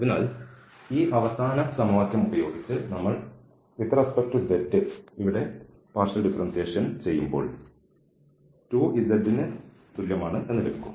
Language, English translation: Malayalam, So, using this last equation we have 2 z equal to when we do the partial derivative here with respect to z